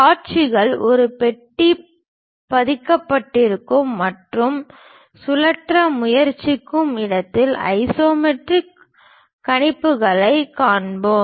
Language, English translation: Tamil, Where the views are embedded in a box and try to rotate so that, we will see isometric projections